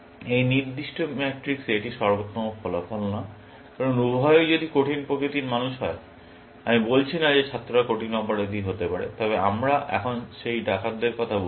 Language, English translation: Bengali, It is not the best outcome in this particular matrix, because if both of them are die hard people, I am not saying that students can be die hard criminals, but we are talking about those robbers now